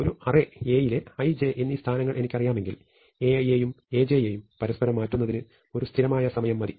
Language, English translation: Malayalam, So, if I know the positions i and j, in an array I can easily get to A i and A j in constant time and exchange them